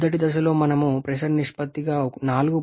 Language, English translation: Telugu, In the first stage we are having 4